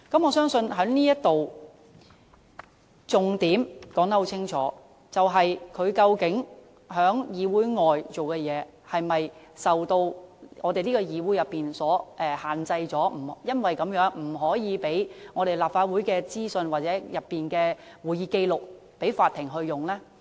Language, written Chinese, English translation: Cantonese, 我相信這裏已清楚說出重點，就是究竟他在議會外所做的事情，是否受到本會所限制，因而不能提供立法會資訊或會議紀要給法庭使用呢？, As far as I can see the subparagraphs have clearly pointed out the main point that is whether his behaviours outside the Council are subject to the Councils restriction so that we cannot grant leave for producing information or minutes of meetings of the Legislative Council for use in the Court